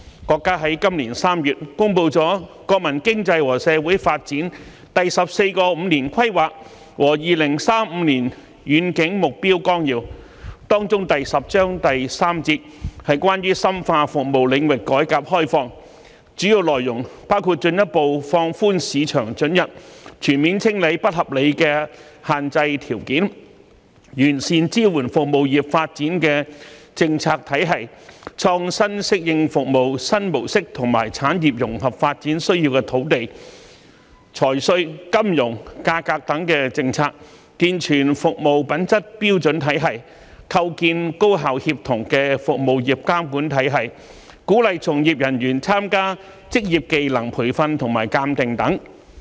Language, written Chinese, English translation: Cantonese, 國家在今年3月公布了《中華人民共和國國民經濟和社會發展第十四個五年規劃和2035年遠景目標綱要》，當中第十章第三節是關於"深化服務領域改革開放"，主要內容包括進一步放寬市場准入，全面清理不合理的限制條件；完善支援服務業發展的政策體系，創新適應服務新模式和產業融合發展需要的土地、財稅、金融、價格等政策；健全服務品質標準體系；構建高效協同的服務業監管體系；鼓勵從業人員參加職業技能培訓和鑒定等。, The country announced in March 2021 the Outline of the 14 Five - Year Plan for National Economic and Social Development of the Peoples Republic of China and the Long - Range Objectives Through the Year 2035 in which Section 3 of Chapter 10 is about deepening the reform and the opening up of the services sectors . The main content among others includes further lowering the market access requirements and comprehensively wiping out unreasonable restrictions; perfecting the policies and systems that support the development of services sectors; innovatively adapting to new service modes and policies related to land finance and taxation financial services and price which are necessary in the integrated development of industries; upgrading systems on service standards; establishing an efficient and coordinated regulatory system on services industries; and encouraging practitioners to receive vocational training and certification